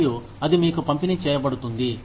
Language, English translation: Telugu, And, that is then, disbursed to you